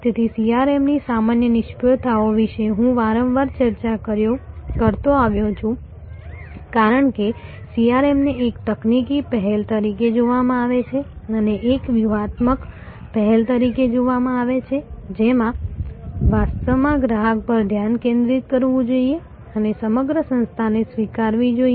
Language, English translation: Gujarati, So, common failures of CRM has I have been discussing is often, because CRM is viewed as a technology initiative and not as a strategic initiative that actually must have a focus on the customer and must embrace the entire organization